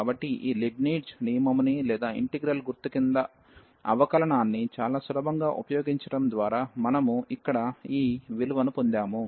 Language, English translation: Telugu, So, we got this value here by using this Leibnitz rule or the differentiation under integral sign very quite easily